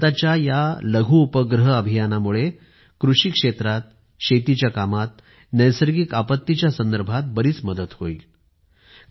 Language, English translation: Marathi, And with India's Nano Satellite Mission, we will get a lot of help in the field of agriculture, farming, and dealing with natural disasters